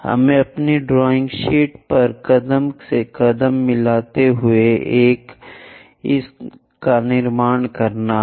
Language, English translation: Hindi, Let us do that step by step on our drawing sheet